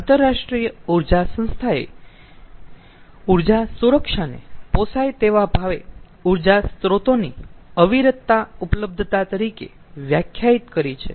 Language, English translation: Gujarati, the ah, international energy agency defines energy security as the uninterrupted availability of energy sources at an affordable price